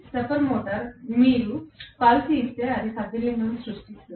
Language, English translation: Telugu, Stepper motor is you just give a pulse, it creates a movement